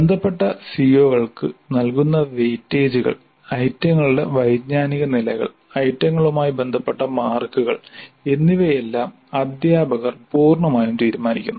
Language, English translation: Malayalam, The weight is given to the concerned COs, the cognitive levels of items and the marks associated with items are completely decided by the teacher